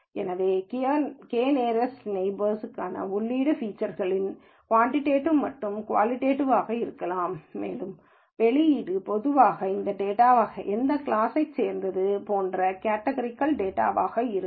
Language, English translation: Tamil, So, the input features for k nearest neighbors could be both quantitative and qualitative, and output are typically categorical values which are what type of class does this data belong to